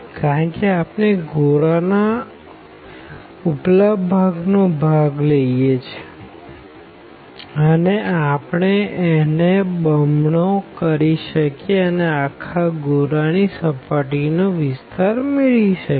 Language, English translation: Gujarati, Because, we are considering the upper part of this sphere and we can make it the double to compute the surface area of the whole sphere